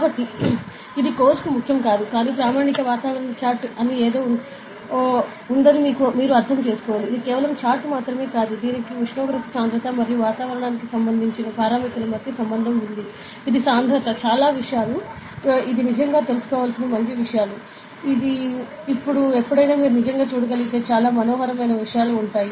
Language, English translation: Telugu, So, this is not important for the course, but you should understand that there is something called standard atmospheric chart, which is not just a chart, it has the relation between temperature density and a lot of parameters related with atmosphere it is density a lot of thing; it is actually good things to know, it is like very fascinating things you can actually look into that anytime, ok